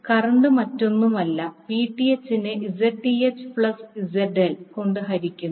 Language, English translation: Malayalam, Current is nothing but Vth divided by the Zth plus ZL